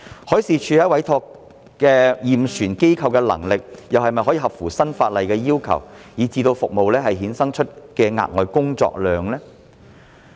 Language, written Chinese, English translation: Cantonese, 海事處委託驗船機構的能力又是否符合新法例的要求，以致服務衍生額外的工作量？, Does the capacity of the ship survey organizations commissioned by MD meet the requirements of the new legislation? . Will additional workload be generated from the service as a result?